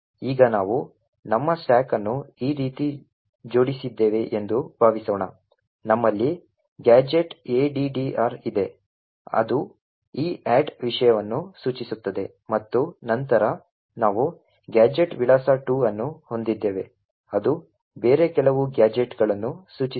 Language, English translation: Kannada, Now suppose we have arranged our stack like this, we have gadget address which is pointing to this add thing and then we have a gadget address 2 which is pointing to some other gadget